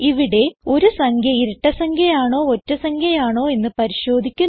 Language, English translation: Malayalam, We shall check if the given number is a even number or an odd number